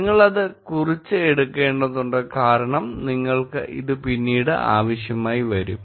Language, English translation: Malayalam, Make sure that you would take a note of it because you will need it later